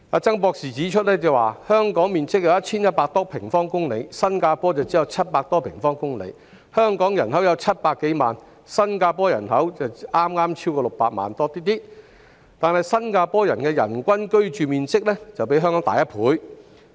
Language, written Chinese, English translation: Cantonese, 曾博士指出，香港面積有 1,100 多平方公里，新加坡則只有700多平方公里，而香港人口有700多萬，新加坡人口亦剛超過600萬，但新加坡的人均居住面積比香港大1倍。, As pointed out by Dr CHAN Hong Kong has a land area of some 1 100 sq km and Singapore has only some 700 sq km; the population of Hong Kong and Singapore are some 7 million and slightly over 6 million respectively but the average living space per person in Singapore is double that of Hong Kong